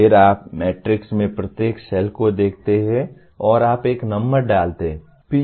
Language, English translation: Hindi, Then you look at each cell in the matrix and you put a number